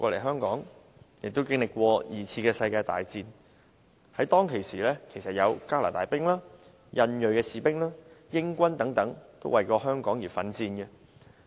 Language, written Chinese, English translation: Cantonese, 香港經歷過第二次世界大戰，當時有加拿大兵、印裔士兵、英軍等為香港奮戰。, Hong Kong experienced World War II when some Canadian Indian and British soldiers bravely fought for Hong Kong